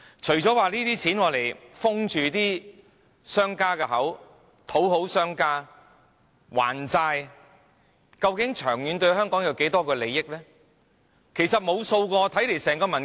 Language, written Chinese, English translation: Cantonese, 除了要用錢封住商家的口、討好商家、還債外，究竟這些政策對香港的長遠利益有多少影響？, Apart from spending money to silence and fawn on the business sector and to repay debts how will these long - term policies affect the interest of Hong Kong in the long run?